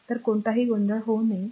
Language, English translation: Marathi, So, there should not be any confusion